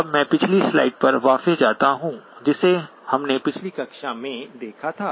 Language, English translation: Hindi, Now let me go back to the last slide that we looked at in the previous class